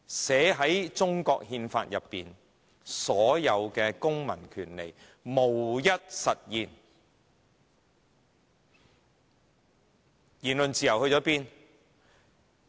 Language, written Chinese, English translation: Cantonese, 寫在中國憲法中的所有公民權利，無一實現，言論自由在哪兒？, Up to now none of the civil rights laid down by the Constitution of the Peoples Republic of China is realized . Where is the freedom of speech now?